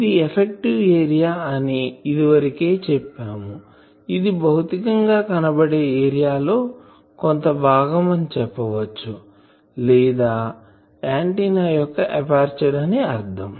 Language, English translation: Telugu, So, I have already said that this effective area, it is a some portion of the physical area, or a that means the for a aperture antenna